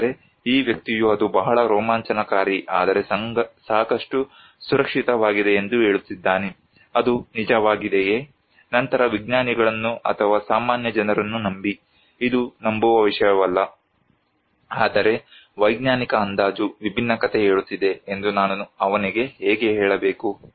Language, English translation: Kannada, But this person is saying that it was tremendously exciting but quite safe, is it really so, then come to believe the scientists or the general people, it is not a matter of believing, but how I have to tell him that scientific estimation is saying a different story